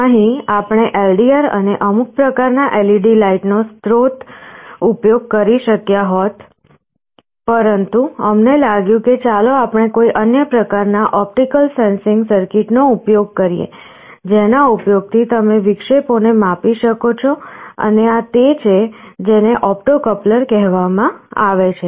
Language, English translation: Gujarati, Here we could have used LDR and some kind of LED light source also, but we thought let us use some other kind of an optical sensing circuit, using which you can measure interruptions, and this is something which is called an opto coupler